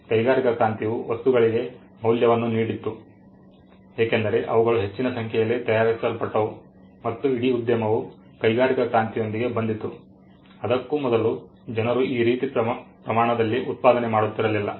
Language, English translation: Kannada, Industrial revolution gave value to things because, they were manufactured in large numbers and entire industry of marketing came with the industrial revolution, before that people were not marketing the way or the scale in which they were doing